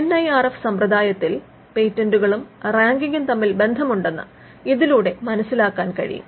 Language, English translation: Malayalam, Now, this tells us that there is some relationship between patents and ranking under the NIRF system